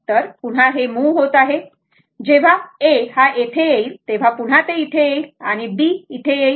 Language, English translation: Marathi, So, again it is moving, again will come when A will come to this and B will come to this